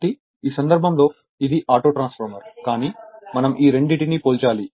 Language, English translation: Telugu, So, in this case, so this is an Autotransformer, but we have to compare these 2 right